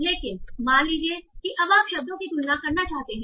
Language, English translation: Hindi, But suppose now you want to compare across words